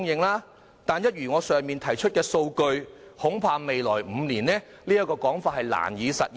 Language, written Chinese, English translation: Cantonese, 不過，根據我剛才提出的數據，未來5年恐怕也難以實現。, According to the data cited by me just now I am afraid the supply of land can hardly be increased in the next five years